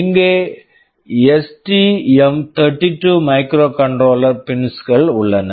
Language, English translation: Tamil, Over here, STM32 microcontroller pins are available that come in directly from the STM32 microcontroller